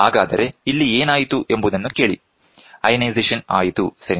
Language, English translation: Kannada, So, hear what happened the ionization happens, ok